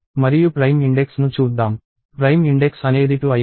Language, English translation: Telugu, And let us look at prime index; prime index became 2